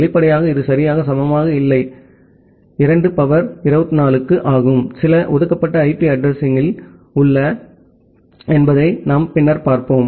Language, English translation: Tamil, Obviously, it is not exactly equal to 2 to the power 24, we will later on look into that there are certain reserved IP addresses